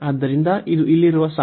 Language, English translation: Kannada, So, this is the line here